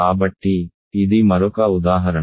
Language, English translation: Telugu, So, this is another example